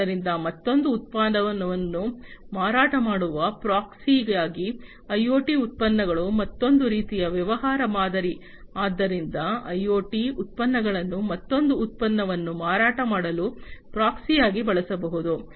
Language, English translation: Kannada, So, IoT products as a proxy to sell another product is another kind of business model; so IoT products can be used as a proxy to sell another product